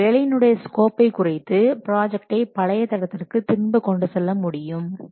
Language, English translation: Tamil, Also we can reduce the scope of the work to get back the project on track